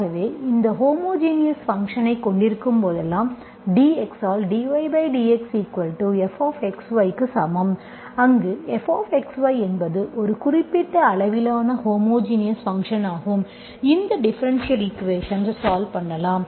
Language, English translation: Tamil, So whenever you have this homogeneous function, so dy by dx equal to f of x, y, where f of x, y is a homogeneous function of certain degree, you can solve this differential equation